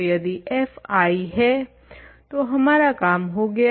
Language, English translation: Hindi, So, if f 1 is I we have done